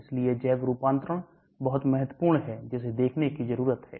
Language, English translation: Hindi, So biotransformation is very important one needs to look at